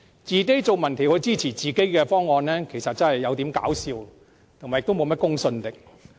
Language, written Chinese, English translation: Cantonese, 自己進行民調支持自己的方案，實在太搞笑，也欠奉公信力。, It is just ridiculous to see them doing their own survey to support their own proposal